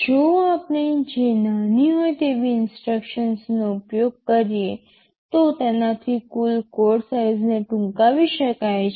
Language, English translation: Gujarati, ISo, if we use instructions which that are smaller, this can further lead to a shortening of the total code size